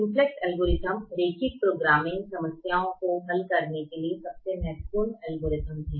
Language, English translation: Hindi, the simplex algorithm is the most important algorithm to solve linear programming problems